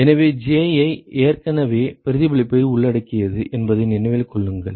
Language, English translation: Tamil, So, keep in mind that Ji already includes reflection